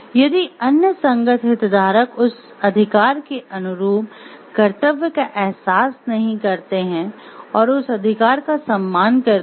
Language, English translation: Hindi, If not the other corresponding stakeholders realizes the duty corresponding to that right and respect that right